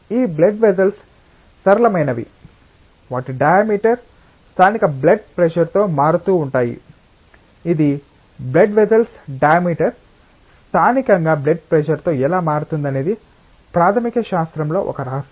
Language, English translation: Telugu, This blood vessels are flexible, their diameters vary with local blood pressure until now it is a mystery in fundamental science that how the diameter of a blood vessel should vary with locally with blood pressure